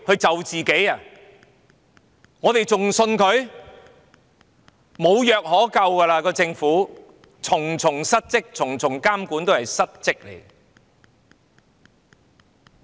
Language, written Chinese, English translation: Cantonese, 這個政府已經無藥可救，重重失職，重重監管也是失職的。, This Government is hopeless . There was repeated dereliction of duty at various levels of supervision